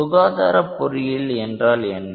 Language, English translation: Tamil, Now, what is health care engineering